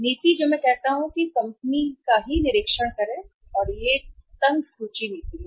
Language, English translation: Hindi, The policy which I say or which the company itself observe that it is a tight inventory policy